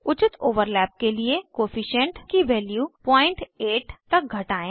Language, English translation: Hindi, For proper overlap, decrease the Coefficient value to 0.8